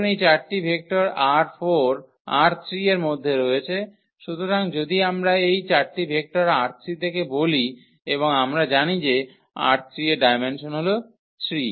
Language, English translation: Bengali, Consider this 4 vectors in this R 3; so, if we consider these 4 vectors are from R 3 and we know the dimension of R 3 is 3